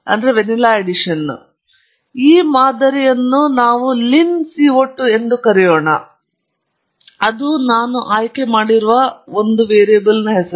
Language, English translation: Kannada, And let’s call this model as lin CO 2 – that’s just a variable name that I am choosing